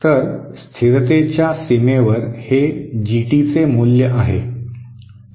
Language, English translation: Marathi, So at the stability boundary, this is the value of GT